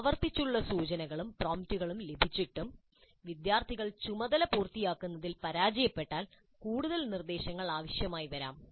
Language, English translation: Malayalam, And if repeated cues and prompts fail to get the students complete the task, it is likely that further instruction is required